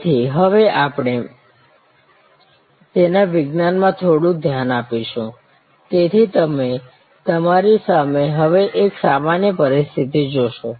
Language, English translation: Gujarati, So, we will now look into the science of it a little bit, so you see in front of you now a typical situation